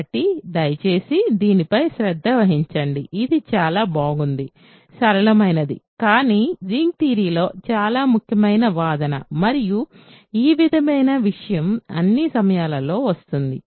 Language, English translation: Telugu, So, please pay close attention to this, this is a very nice, simple, but an extremely important argument in ring theory and this is this sort of thing comes up all the time